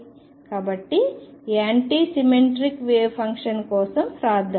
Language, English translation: Telugu, So, let us write for anti symmetric wave function